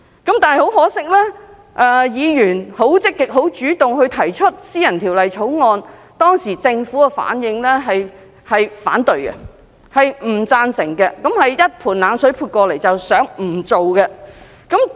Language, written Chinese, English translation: Cantonese, 很可惜，議員積極主動提出私人法案，但當時政府的反應卻是反對及不贊成，可說是潑了一盆冷水，不想立法。, Regrettably the private bill actively promoted by Ms WU was rejected and opposed by the Government . Her enthusiasm was dampened by the Governments reaction . The Government did not want to legislate on these matters